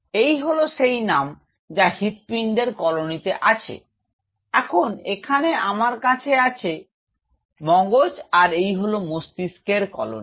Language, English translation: Bengali, This is the I name it has the heart colony, now out here where I have the brain this is the brain colony